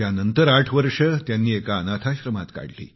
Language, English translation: Marathi, Then he spent another eight years in an orphanage